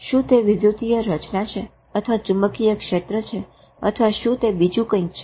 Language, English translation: Gujarati, Is it an electrical pattern or a magnetic field or is it something else